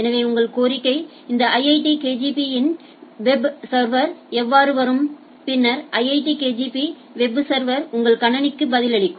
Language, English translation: Tamil, So, how your request comes up to this IITKGP web server and then IITKGP web server replies back to your systems right